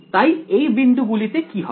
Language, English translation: Bengali, So, at those points what will happen